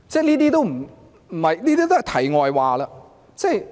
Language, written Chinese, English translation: Cantonese, 這些都是題外話。, All these questions are digressions